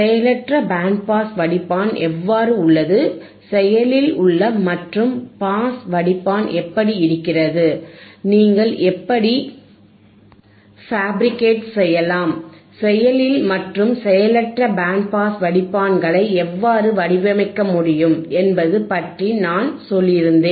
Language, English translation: Tamil, I had told you about how the passive band pass filter is, I had told you how the active and pass filter is, I had told you how you can how you can fabricate or how you can design the active and passive band pass filters